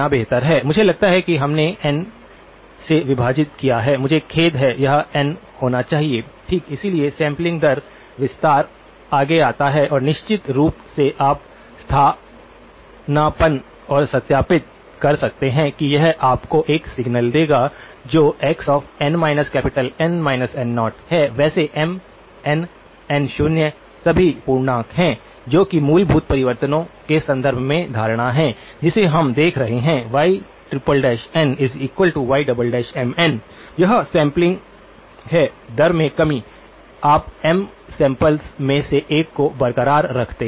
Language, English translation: Hindi, I think we divided by N, I am sorry, this should be N okay, so sampling rate expansion comes next and of course, you can substitute and verify that this will give you a signal which is x of n by N minus N naught, by the way M, N, N naught are all integers that is the assumption in terms of the basic transformations that we are looking at so, y triple prime of n is y double prime of M n, this is the sampling rate reduction, you retain one out of M samples